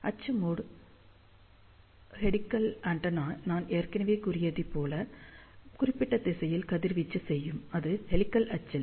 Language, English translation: Tamil, So, axial mode helical antenna as I had mentioned that, it will radiate in this particular direction, which is the axis of the helix